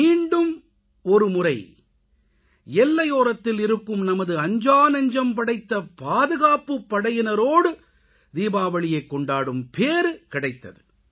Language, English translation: Tamil, Luckily I got another chance to celebrate Deepawali with our courageous and brave heart security personnel